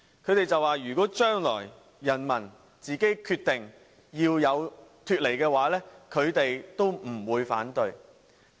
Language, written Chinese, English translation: Cantonese, 他們說如果將來人民自己決定脫離中國，他們也不會反對。, They stated that if the people should decide secession from China they would not oppose it